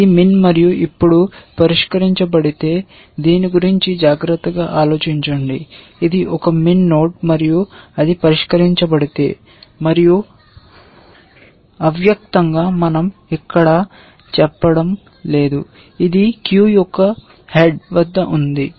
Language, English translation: Telugu, If it is min and solved now, just think carefully about this, if it is a min node and it is solved and implicitly we are not saying this here, it is at the head of the queue, it is at the head of the queue